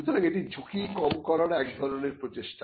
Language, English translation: Bengali, So, it is kind of a wrist risk mitigating effort